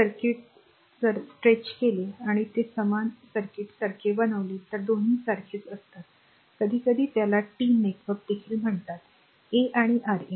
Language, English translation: Marathi, Same circuit if you stretch it of and make it like this same circuit both are same it is sometimes we call it T network here also R 1 R 2 and R 3